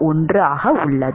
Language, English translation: Tamil, 91 which is coming 93